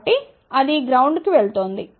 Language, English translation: Telugu, So, that is going to ground